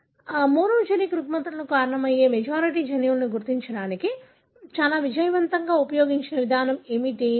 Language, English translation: Telugu, So, what is the approach that was very successfully used to identify a majority of the genes that cause monogenic disorders